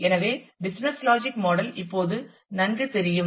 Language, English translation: Tamil, So, the business logic model knows now well